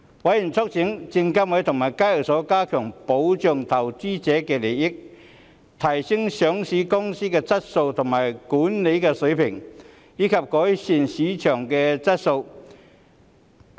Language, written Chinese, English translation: Cantonese, 委員促請證券及期貨事務監察委員會及港交所加強保障投資者利益、提升上市公司的質素和管治水平，以及改善市場的質素。, Members urged the Securities and Futures Commission SFC and HKEx to step up protection for investors interests and enhance the quality and governance of listed companies